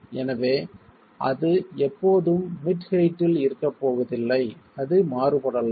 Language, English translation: Tamil, So it is not always going to be at middle, at the mid height